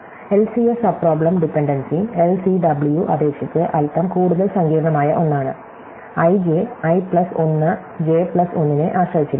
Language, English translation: Malayalam, So, the subproblem dependency in LCS is a little more complicated than in LCW, LCW we only had these dependency, that is we said that, i j depended i plus 1 j plus 1